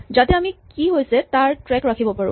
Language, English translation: Assamese, So, that we can keep track of what is going on